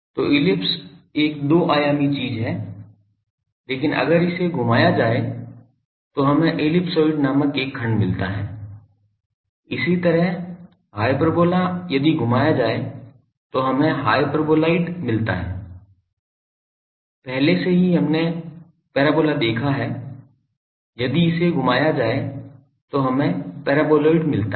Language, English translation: Hindi, So, ellipse is a two dimensional thing, but if it is rotated we get a section called ellipsoid, similarly, hyperbola if it is rotated we get hyperboloid, already we have seen parabola if it is rotated we get paraboloid